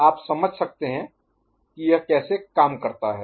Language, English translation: Hindi, You understand how it works